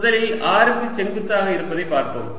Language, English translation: Tamil, let's look at perpendicular to r first